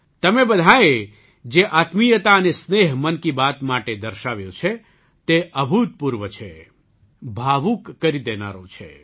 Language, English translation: Gujarati, The intimacy and affection that all of you have shown for 'Mann Ki Baat' is unprecedented, it makes one emotional